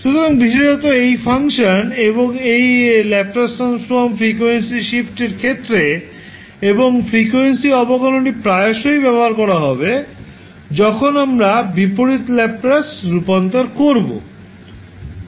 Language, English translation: Bengali, So, particularly this function and this, the Laplace Transform, in case of frequency shift and frequency differentiation will be used most frequently when we will do the inverse Laplace transform